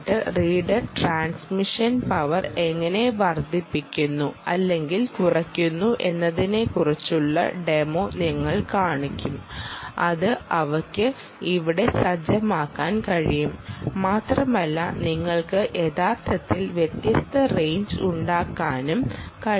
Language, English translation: Malayalam, we will show your demonstration of how the with the increase or decrease in reader transmission power which she can set here, ah, the and ah, you can actually have different range